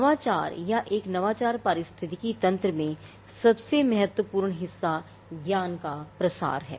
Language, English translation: Hindi, The most important part in innovation or in an innovation ecosystem is diffusion of knowledge